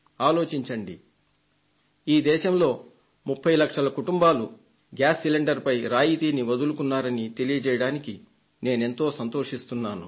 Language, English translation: Telugu, Just think…Today I can say with great pride that 30 lakh families have given up their gas subsidy and these are not the rich people